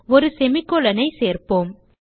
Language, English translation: Tamil, So let us add a semicolon